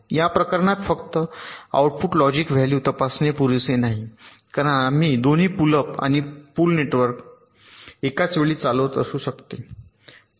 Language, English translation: Marathi, therefore, this case, just checking the logic value in the output, may not be sufficient, because both the pull up and pull down network may be simultaneously conducting